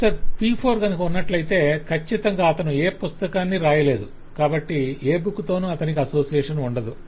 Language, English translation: Telugu, there could certainly be a professor p4 who has not written any book, so not associated